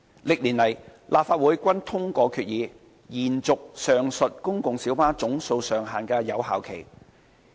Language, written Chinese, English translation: Cantonese, 歷年來，立法會均通過決議，延續上述公共小巴總數上限的有效期。, Over the years the Legislative Council has time and again passed resolutions to extend the effective period of the aforesaid cap on the number of PLBs